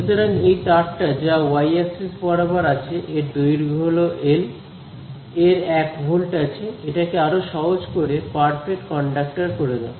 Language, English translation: Bengali, So, this wire which is lying along the y axis it has some length L, it has 1 volt you make it even simpler perfect conductor